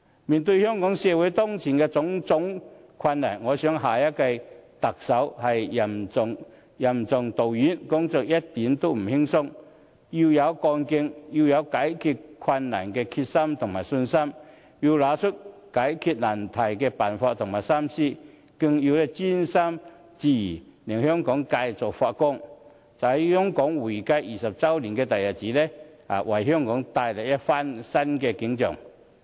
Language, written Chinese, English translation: Cantonese, 面對香港社會當前的種種困難，我認為下任特首是任重道遠，工作一點也不輕鬆，要有幹勁，要有解決困難的決心和信心，更要拿出解決難題的辦法和心思，更要專心致志，令香港繼續發光，在香港回歸20周年的大日子，為香港帶來一番新的景象。, In face of the numerous difficulties in Hong Kong now I believe the next Chief Executive will have heavy responsibilities and a long road ahead . His or her job is by no means easy . One needs to have enthusiasm determination and faith in overcoming difficulties as well as the ability to show his or her resourcefulness and wits in dissolving them